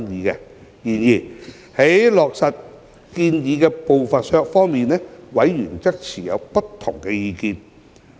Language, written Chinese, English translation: Cantonese, 然而，對於落實建議的步伐，委員則持不同意見。, However members held different views on the pace of implementation of the proposal